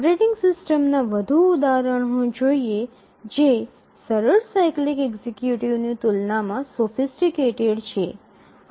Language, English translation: Gujarati, So, now let's look at more examples of operating systems which are sophisticated compared to the simple cyclic executive